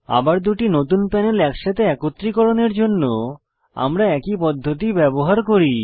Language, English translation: Bengali, Now, To merge the two new panels back together, we use the same method